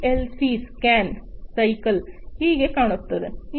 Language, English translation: Kannada, This is how the PLC scan cycle looks like